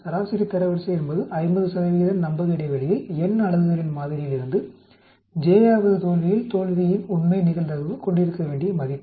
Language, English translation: Tamil, Median rank is the value that the true probability of failure should have at the j th failure out of a sample of n units at the 50 th percent confidence level